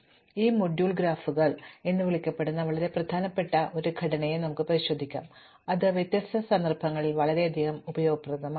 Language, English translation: Malayalam, So, in this module we will look at a very important class of structures called graphs which are immensely useful in many different contexts